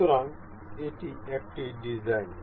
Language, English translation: Bengali, So, this is one design